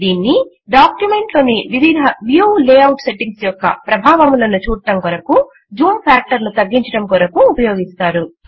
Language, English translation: Telugu, It is used to reduce the zoom factor to see the effects of different view layout settings in the document